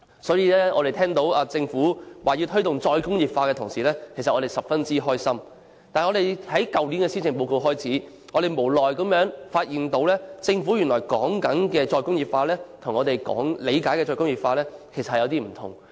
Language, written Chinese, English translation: Cantonese, 所以，我們聽到政府要推動"再工業化"的時候都十分開心，但由去年施政報告開始，我們卻無奈地發現政府口中的"再工業化"與我們理解的"再工業化"有些不同。, Therefore when the Government stated that it would promote re - industrialization we were very happy . But since the release of the Policy Address last year we reluctantly found that the re - industrialization advocated by the Government was a bit different from our interpretation of re - industrialization